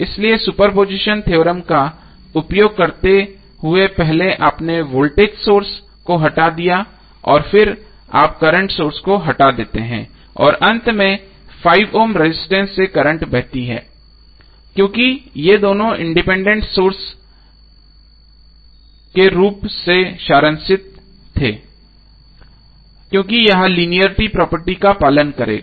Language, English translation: Hindi, So in this case the circuit variable was current flowing through 5 Ohm resistance, so using super position theorem first you removed the voltage source and then you remove the current source and finally rent flowing through 5 Ohm resistance because of both of this sources independently were summed up because it will follow linearity property